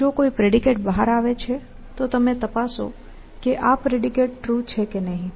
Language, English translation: Gujarati, If it is a predicate that comes out, then you check, whether the predicate is true